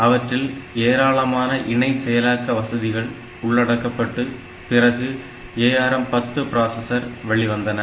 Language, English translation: Tamil, So, these are some additional co processing facilities and available in ARM 10 processors